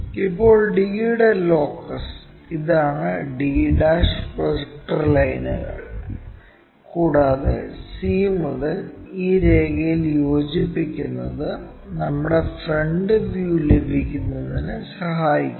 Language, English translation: Malayalam, Now, the locus for d is this d' the projector lines, and from c join this line to locate our front view